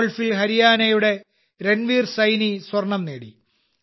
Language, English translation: Malayalam, Haryana's Ranveer Saini has won the Gold Medal in Golf